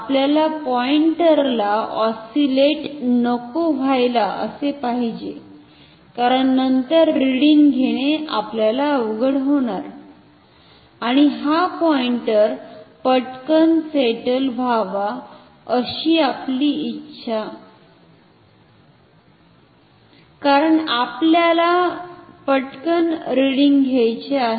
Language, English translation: Marathi, We want the pointer not to oscillate, because then it is difficult to take reading we and we do not want this pointer to settle down quickly, because we want to take readings quickly